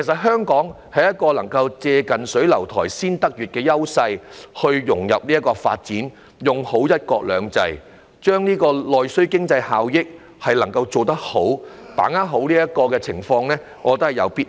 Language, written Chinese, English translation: Cantonese, 香港享有"近水樓台先得月"的優勢，有必要融入區域發展，利用"一國兩制"的優勢，好好把握內需經濟帶來的效益。, Enjoying the advantage of close proximity to the Mainland Hong Kong has to integrate into the regional development and leverage the one country two systems advantage to capitalize on the benefits brought by domestic demand